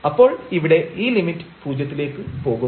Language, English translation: Malayalam, So, here this limit will go to 0